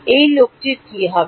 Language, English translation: Bengali, What about this guy